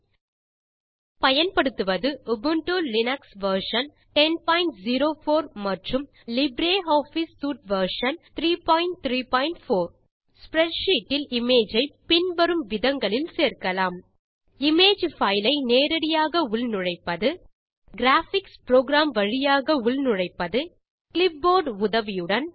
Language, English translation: Tamil, Here we are using, Ubuntu Linux version 10.04 and LibreOffice Suite version 3.3.4 Images can be added into a spreadsheet by, Inserting an image file directly From a graphics program, With the help of a clipboard or From the gallery